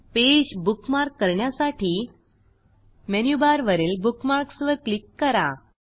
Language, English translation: Marathi, From the Menu bar, click on Bookmarks